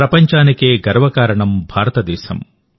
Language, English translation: Telugu, India is the pride of the world brother,